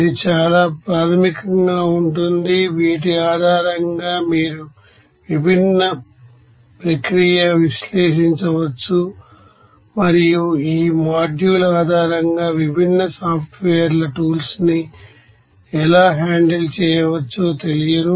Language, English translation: Telugu, And this will be very basic of this based on these you may be you know that able to analyze different process and how to you know handle the tools of different softwares based on this module